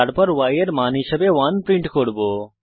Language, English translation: Bengali, We print the value of y, here we get 0